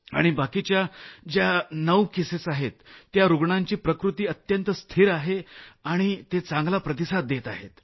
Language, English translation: Marathi, And the remaining nine cases are also very stable and doing well